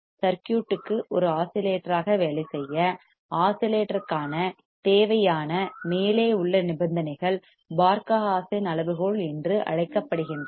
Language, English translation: Tamil, The above conditions required to work the circuit as an oscillator are called the Barkhausen criterion for oscillation